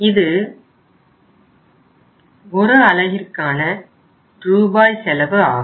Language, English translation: Tamil, This is the unit cost in rupees